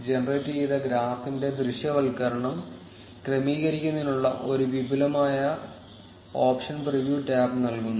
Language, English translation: Malayalam, The preview tab provides advanced option to adjust the visualization of the generated graph